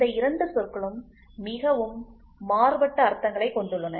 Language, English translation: Tamil, These 2 words have very different meanings